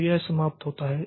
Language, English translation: Hindi, So, it terminates